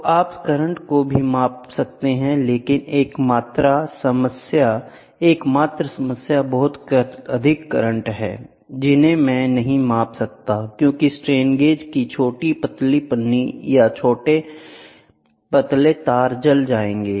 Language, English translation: Hindi, So, you we can also measure current, but the only problem is current, very high currents very high currents I cannot be measured because the strain gauge, the small thin foil or small thin wire will get burnt